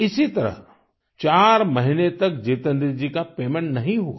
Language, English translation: Hindi, This continued for four months wherein Jitendra ji was not paid his dues